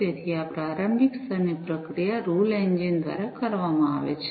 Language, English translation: Gujarati, So, this preliminary level processing is going to be done by the rule engine